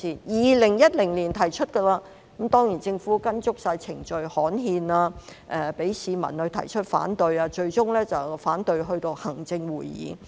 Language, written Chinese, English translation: Cantonese, 2010年已經提出，當然政府依足程序：刊憲、讓市民提出反對，最終反對至行政會議。, Of course the Government has strictly observed the procedures required by gazetting the proposed project receiving opposing views from the public which were eventually conveyed to the Executive Council